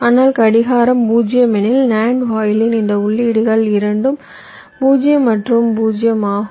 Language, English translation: Tamil, but if clock is zero, lets say, then both this inputs of the nand gate are zero and zero